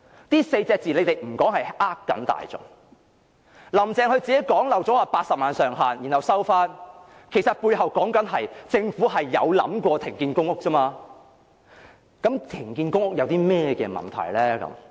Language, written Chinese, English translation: Cantonese, 政府不談這4隻字是欺騙大眾，"林鄭"自己脫口說出80萬上限，之後又收回，其實背後說的是，政府有想過停建公屋而已，它認為停建公屋並沒有問題。, These four words are not mentioned by the Government so it is cheating the people . Carrie LAM herself blurted out the maximum number of 800 000 public housing units and then she took it back . In fact the message behind all these is that the Government has thought about suspending public housing construction and it sees no problem in doing so